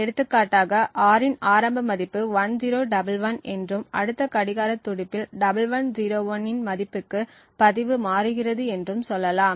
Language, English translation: Tamil, So, for example over here let us say that the initial value of R is 1011 and in the next clock pulse the register changes to the value of 1101